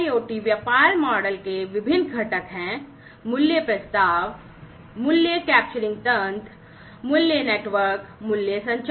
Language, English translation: Hindi, So, there are different components of IIoT business models; value proposition, value capturing mechanism, value network, value communication